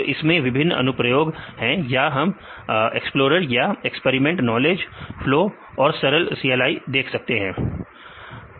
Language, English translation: Hindi, So, they have different applications or we can see the explorer or experimenter knowledge flow and the simple CLI